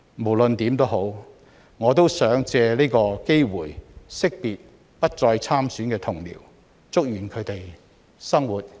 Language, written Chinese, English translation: Cantonese, 無論如何，我想藉此機會惜別不再參選的同僚，祝願他們的生活繼續精彩。, Anyway I would like to take this opportunity to bid farewell to my Honourable colleagues who are not running for the coming Legislative Council election and wish them a fabulous life